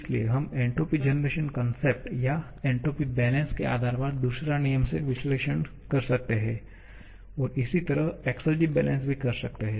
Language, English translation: Hindi, So, we can perform second law analysis based upon entropy generation concept or entropy balance and similarly by exergy balance